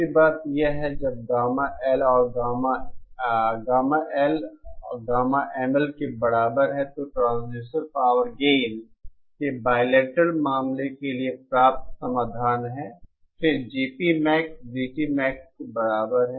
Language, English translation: Hindi, The other thing is, when gamma L is equal to gamma ML, this is the solution obtained for the bilateral case of the transducer power gain then GP Max is equal to GT Max